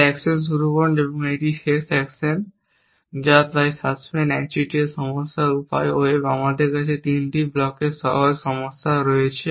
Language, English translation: Bengali, So start action an that is end action that is so suspense monopoly problem way wave we have way simple problem of 3 blocks